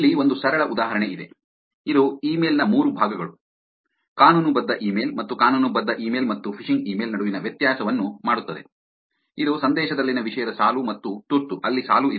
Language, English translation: Kannada, Here is a simple example, which is an email that the 3 parts of the email which is actually makes the legitimate email and the difference between the legitimate email and the phishing email, which is the subject line, subject line and urgency in the message on there are there is the line